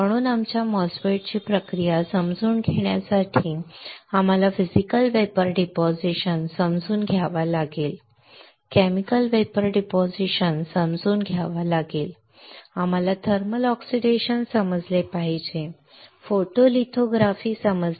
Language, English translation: Marathi, So, to understand the process of our MOSFET we had to understand Physical Vapor Deposition, we had to understand Chemical Vapor Deposition, we have to understand thermal oxidation, we have to understand photolithography alright